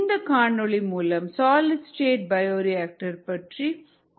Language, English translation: Tamil, this is a video that would talk something about these solid state bioreactors